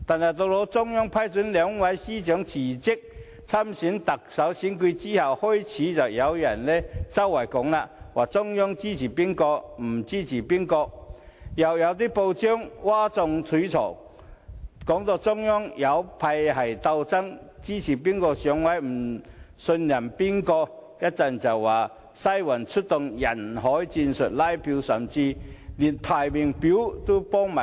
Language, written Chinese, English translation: Cantonese, 可是，在中央批准兩位司長辭職參加特首選舉後，便開始有人散播消息，指中央支持甲而不支持乙，更有報章譁眾取寵，指中央有派系鬥爭，支持誰上位和不信任誰，然後又說"西環"出動人海戰術拉票，甚至替某人填寫提名表。, However after the Central Authorities approved the resignation of two Bureau Directors for running in the Chief Executive Election some people began to spread the rumour that the Central Authorities support A but not B . Some newspapers even sought to arouse public attention by saying that there was factional struggle within the Central Authorities over who should be put on the pedestal and who should not be trusted and there were also allegations that the Western District was mobilizing a huge number of people to canvass votes and filling up the nomination forms for EC members